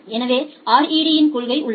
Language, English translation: Tamil, So, here is the principle of RED